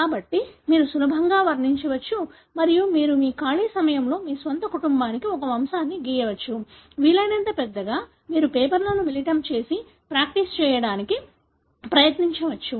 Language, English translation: Telugu, So, easily you can depict and you could perhaps in your free time you can draw a pedigree for your own family; as big as possible you can combine papers and try to practice